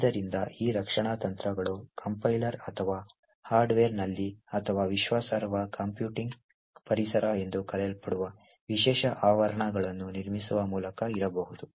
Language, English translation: Kannada, So, these defence strategies could be present either at the Compiler or at the Hardware or by building special enclaves known as Trusted Computing Environments